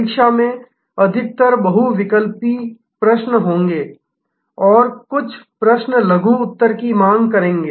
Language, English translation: Hindi, The examination will mostly have some multiple choice questions and some questions demanding short answers